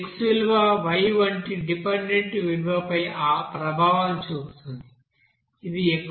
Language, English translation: Telugu, And this x value will you know effect this dependent values like y which will be valued as 2